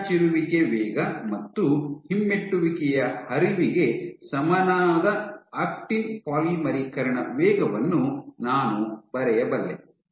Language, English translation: Kannada, I can write down the actin polymerization rate equal to protrusion rate plus retrograde flow